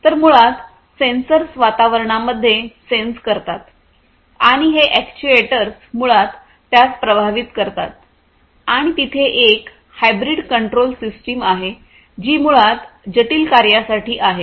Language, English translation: Marathi, So, basically the sensors would sense the environment and these actuators will basically influence it and there is hybrid control system these are basically hybrid control systems for complex tasks